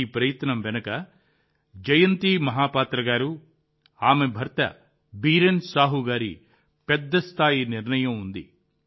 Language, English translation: Telugu, Behind this effort is a major decision of Jayanti Mahapatra ji and her husband Biren Sahu ji